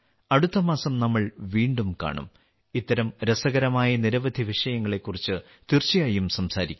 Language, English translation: Malayalam, We will meet again next month and will definitely talk about many more such encouraging topics